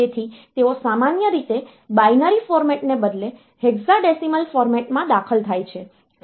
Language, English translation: Gujarati, So, they are usually entered in a hexadecimal format instead of binary format